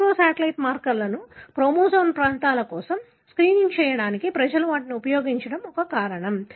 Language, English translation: Telugu, One of the reasons is that the microsatellite markers people used them to screen for chromosomal regions